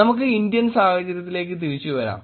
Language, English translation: Malayalam, Let us come back to the Indian context